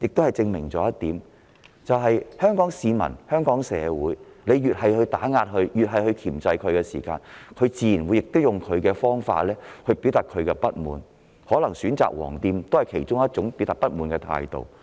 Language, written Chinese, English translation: Cantonese, 這證明了一點，對於香港市民、香港社會，當局越是打壓和箝制，人們越是會以自己的方式表達不滿，選擇"黃店"進行消費可能是其中一種方法。, This can only prove that for the people and community of Hong Kong the more suppression and control measures are adopted the more our people will try to express their dissatisfaction in their own way and choosing to patronize the yellow shops may perhaps be one of the options